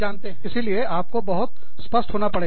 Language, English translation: Hindi, So, you have to be very specific